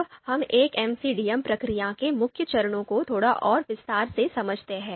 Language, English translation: Hindi, Now let’s understand the main steps of a typical MCDM process in a bit more detail